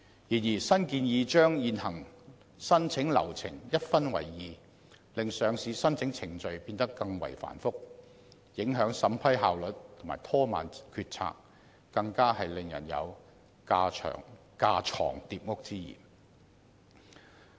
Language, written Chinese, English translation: Cantonese, 然而，新建議將現行申請流程一分為二，令上市申請程序變得更為繁複，影響審批效率及拖慢決策，更令人感到有架床疊屋之嫌。, However the existing application process will be divided into two parts under the new proposal thus making the process more complicated undermining the efficiency of the arrangements retarding the decision making procedures and giving people an impression of duplication and redundancy